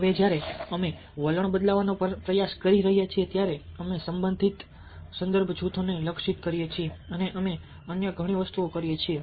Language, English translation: Gujarati, now, when we are trying to change attitudes, we target relevant believes, locate relevant reference groups and we do a lot of other things